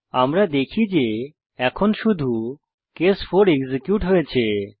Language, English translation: Bengali, As we can see, now only case 4 is executed